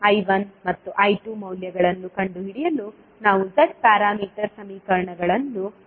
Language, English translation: Kannada, We have to use the Z parameter equations to find out the values of I1 and I2